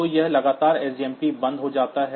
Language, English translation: Hindi, So, it is continually sjpm stops